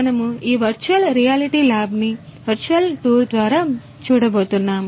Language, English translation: Telugu, 0 we are going to have a look a virtual tour through this virtual reality lab